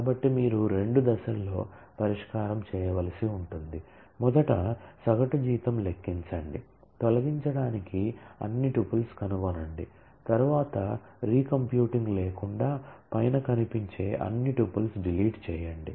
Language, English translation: Telugu, So, you will have to do the solution in two stages: first compute the average salary, find all tuples to delete